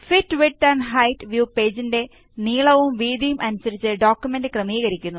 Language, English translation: Malayalam, The Fit width and height view fits the document across the entire width and height of the page